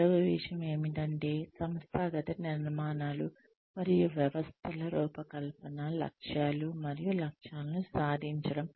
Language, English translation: Telugu, The second thing is, design of organizational structures and systems, to achieve the goals and objectives